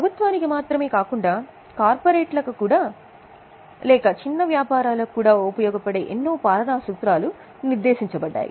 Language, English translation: Telugu, So, lot of governance principle, not only for government, even for corporates or businesses have been laid down